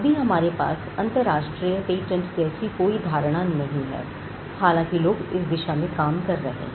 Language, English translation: Hindi, So, we still do not have something like a global patent or a world patent that concept is still not there, though people are working towards it